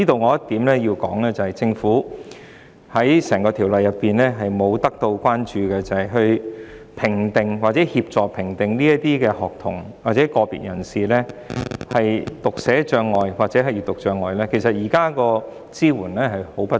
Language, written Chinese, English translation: Cantonese, 我必須指出一點，政府在整項《條例草案》中忽略一點，就是在評定或協助評定學童或個別人士有否讀寫障礙或閱讀障礙方面，其實支援相當不足。, I must point out that in the entire Bill the Government has missed out one point and that is there is a serious lack of support in assessing or assisting the assessment of whether a student or an individual has dyslexia or print disabilities